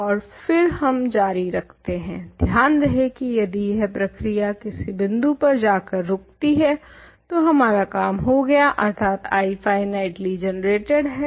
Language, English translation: Hindi, And, then we continue, remember that if this process stops at any point we achieved our goal which is that I is finitely generated